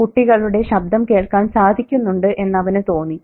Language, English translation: Malayalam, Could he hear the children's voices